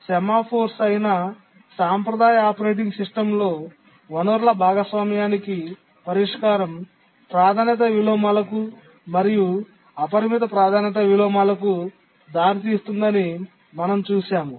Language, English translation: Telugu, And we have seen that the traditional operating system solution to resource sharing, which is the semaphores, leads to priority inversions and unbounded priority inversions